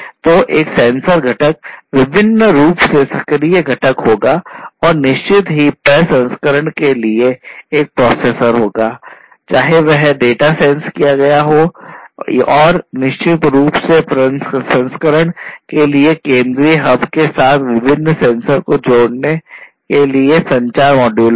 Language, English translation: Hindi, So, there will be a sensor component an actuated component optionally and a processor for processing certain, you know, whether the data that is sensed and certain communication module for connecting these different sensors with a central hub for processing or the sensors themselves